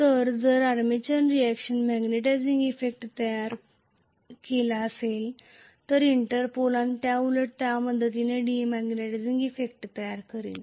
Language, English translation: Marathi, So, if the armature reaction is creating a magnetizing effect I will create a demagnetizing effect with the help of Interpol and vice versa